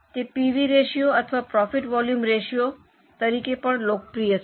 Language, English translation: Gujarati, It is also more popularly it is known as pv ratio or profit volume ratio